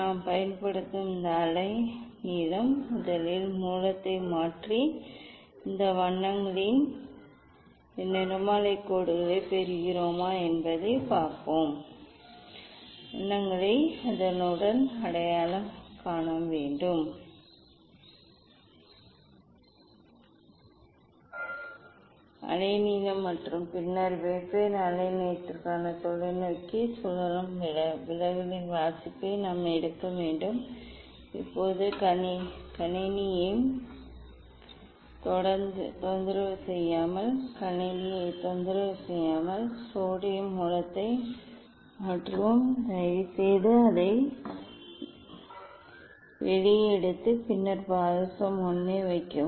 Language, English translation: Tamil, this wavelength we will use let us first replace the source and see whether we get this spectral lines of this colours and then we have to identify the colours at corresponding wavelength and then for different wavelength we have to take the reading of deviation just rotating the telescope now, we will replace the sodium source without disturbing the system without disturbing the system please take it out and then put the mercury 1